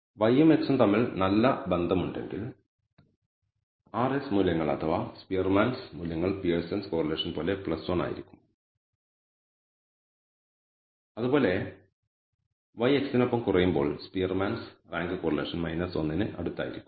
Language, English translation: Malayalam, When there is the positive association between y and x then the r s values or the Spearman’s thing will be plus 1 like the Pearson’s correlation and similarly when y decreases with x then we say that you know the Spearman’s rank correlation is likely to be close to minus 1 and so, on